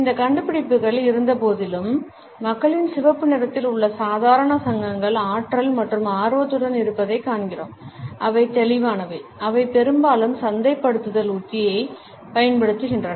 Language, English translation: Tamil, Despite these findings we find that the normal associations in people’s mind of red are with energy and passion which remain vivid and are often used as marketing strategy